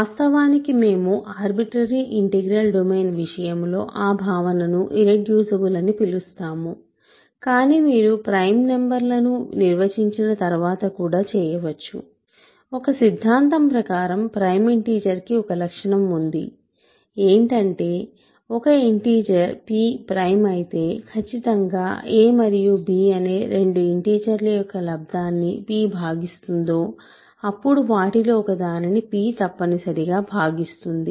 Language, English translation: Telugu, That notion is actually what we are calling irreducible in the case of an arbitrary integral domain, but you also do after defining prime numbers, the theorem that a prime integer has a property that if that integer p is prime if and only if p divides a product of two integers a and b then it must divide one of them